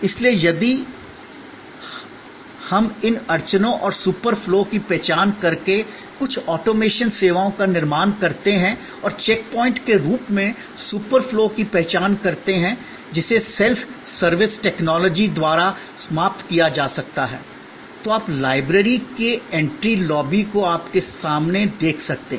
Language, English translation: Hindi, So, if we create some automation of services and process redesign, by identifying these bottleneck points and super flow as check points which can be eliminated by self service technology, you could redesign what you see in front of you, the entry lobby of the library